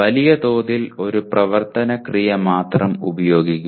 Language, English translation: Malayalam, By and large, use only one action verb